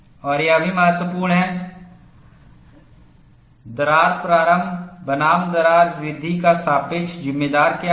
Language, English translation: Hindi, And it is also important, what is the relative proportion of crack initiation versus crack growth